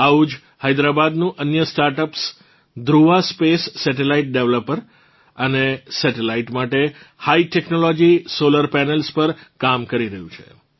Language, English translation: Gujarati, Similarly, Dhruva Space, another StartUp of Hyderabad, is working on High Technology Solar Panels for Satellite Deployer and Satellites